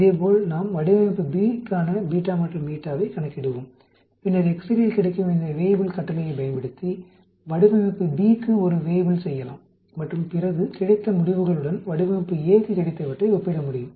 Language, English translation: Tamil, Similarly, we will calculate the beta and eta for design B and then we can do a Weibull for a design B, using this Weibull command available in excel and then we can compare the results with that we got for design A